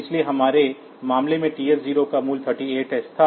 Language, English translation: Hindi, So, TH 0 was holding 38h in our case